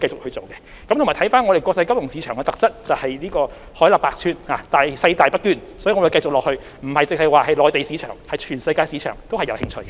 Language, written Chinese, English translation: Cantonese, 香港這個國際金融市場的特質是海納百川，細大不捐，所以，我們往後不只會着眼內地市場，全世界的市場我們都有興趣。, Hong Kong is an international financial market characterized by great capacity and diversity . So in the future the Mainland market will not be our only focus . We are also interested in markets all around the world